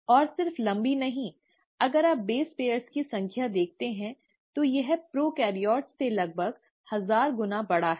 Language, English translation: Hindi, And not just long, if you look at the number of base pairs it has, it's about thousand fold bigger than the prokaryotes